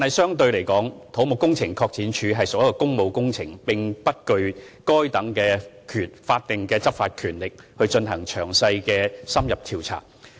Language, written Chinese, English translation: Cantonese, 相對而言，土木工程拓展署負責處理工務工程，並不具備執法權力來進行詳細而深入的調查。, Relatively speaking CEDD is responsible for handling public works projects and it does not have enforcement powers to carry out detailed and in - depth investigations